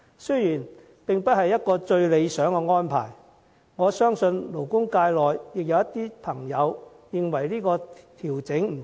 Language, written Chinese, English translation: Cantonese, 這並不是最理想的安排，有勞工界人士認為調整不足。, This is not the most ideal arrangement and some members of the labour sector have considered the adjustment inadequate